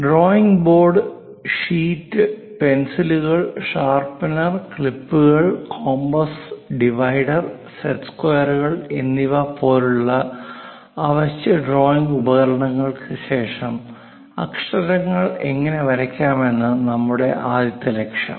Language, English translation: Malayalam, After these essential drawing instruments like bold, sheet, pencils, sharpener, clips, compass, divider, and set squares, the first objective is how to draw letters